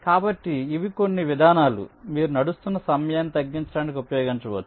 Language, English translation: Telugu, ok, so these are some approaches you can use for reducing the running time and ah